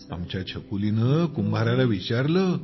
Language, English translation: Marathi, Our doll asked the potter,